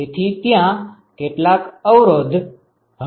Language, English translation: Gujarati, So, how many resistances are there